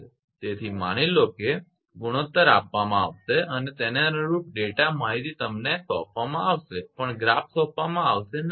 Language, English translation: Gujarati, So, suppose the ratio will be given and corresponding data will be supplied to you even in assignment also the graphs will not be provided